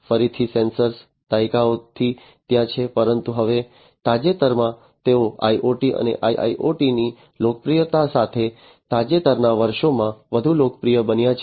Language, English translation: Gujarati, Again sensors have been there for decades, but then now recently they have become even more popular in the recent years, with the popularity of IoT and IIoT